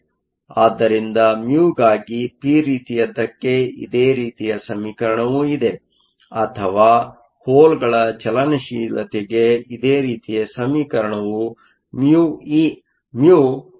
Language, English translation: Kannada, So, There is a similar expression for mu for the p type or similar expression for the mobility for the holes mu is 54